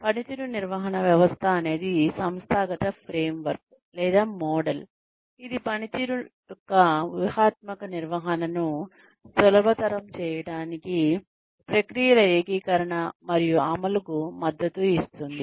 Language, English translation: Telugu, Performance management system is an organizational framework or model, that supports the integration and implementation of processes to facilitate the strategic management of performance